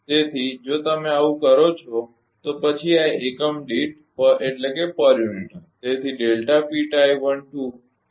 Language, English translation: Gujarati, So, if you do so, then this will be in per unit